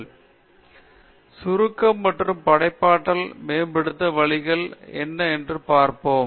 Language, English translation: Tamil, And then, summary and we will see what are the ways to improve creativity